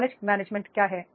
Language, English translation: Hindi, What is knowledge management